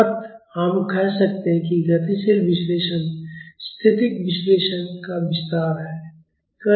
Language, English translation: Hindi, So, we can say that dynamic analysis is an extension of static analysis